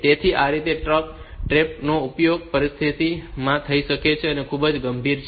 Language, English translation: Gujarati, So, that way this trap can be used for the situation which is very critical